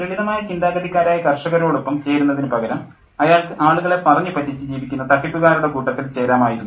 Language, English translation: Malayalam, And instead of joining the mindless group of peasants, he had joined the group of clever scheming tricksters